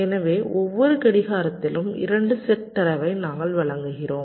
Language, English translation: Tamil, so we are supplying two sets of data every clock